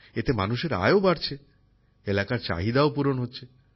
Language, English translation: Bengali, On account of this the income of the people is also increasing, and the needs of the region are also being fulfilled